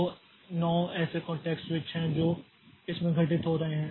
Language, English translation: Hindi, So, there are 10, there are 9 such contact switches that are occurring in this